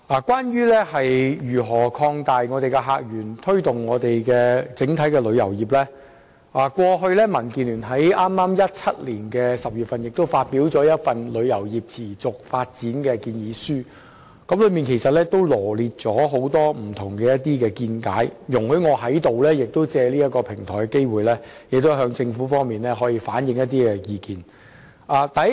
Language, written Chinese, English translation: Cantonese, 關於如何擴大客源，推動香港的旅遊業，民主建港協進聯盟於2017年10月發表了《香港旅遊業持續發展建議書》，當中羅列了很多見解，容許我藉此機會向政府當局反映一些意見。, In relation to opening up new visitor sources and promoting the tourism industry of Hong Kong the Democratic Alliance for the Betterment of Hong Kong DAB issued the Proposal on the Sustainable Development of Tourism in Hong Kong which listed a number of opinions in October 2017 . Please allow me to reflect some opinions to the Administration here